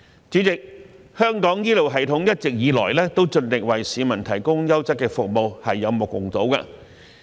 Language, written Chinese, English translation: Cantonese, 主席，香港醫療系統一直以來都盡力為市民提供優質的服務，是有目共睹的。, President the healthcare system of Hong Kong is known to have provided quality services to the public as far as possible